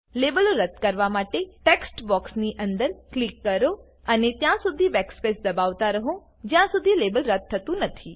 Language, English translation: Gujarati, To delete the labels, click inside the text box and press backspace till the label is deleted